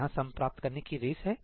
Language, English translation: Hindi, There is a race on sum